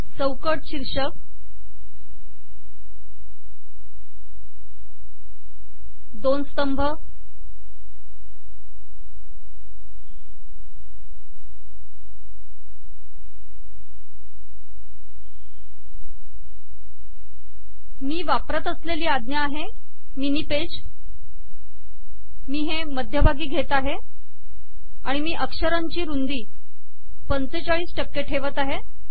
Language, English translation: Marathi, Frame title, two columns, and Im using the command mini page, and Im centering it and Im using 45 percent of the text width